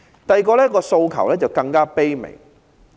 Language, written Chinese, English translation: Cantonese, 第二個訴求更加卑微。, Our second request is even more humble